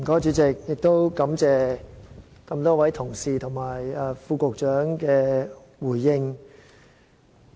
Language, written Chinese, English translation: Cantonese, 主席，我感謝多位同事和局長的回應。, President I am grateful to various Members and the Secretary for their responses